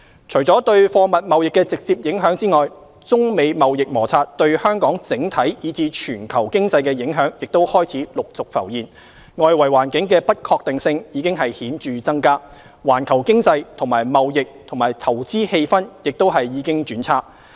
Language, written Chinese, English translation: Cantonese, 除對貨物貿易的直接影響外，中美貿易摩擦對香港整體以至全球經濟的影響開始陸續浮現，外圍環境的不確定性已顯著增加，環球經濟及貿易和投資氣氛亦已經轉差。, Apart from the direct impact on trade in goods the impact of the China - US trade conflict on Hong Kong as a whole and on the global economy has begun to emerge . The uncertainties of the external environment have increased markedly while the global economy as well as trade and investment sentiment have also deteriorated